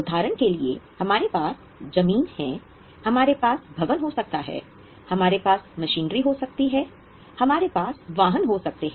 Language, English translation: Hindi, For example, we have got land, we may have a building, we may have a machinery, we may have vehicles, they are with us for a longer period